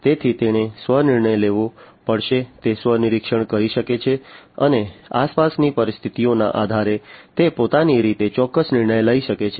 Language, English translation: Gujarati, So, it has to self decide it can self monitor and based on the ambient conditions it can make certain decisions on it is on it is own